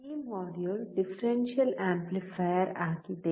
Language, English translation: Kannada, This module is for the Differential amplifier